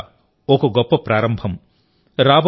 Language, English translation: Telugu, This is certainly a great start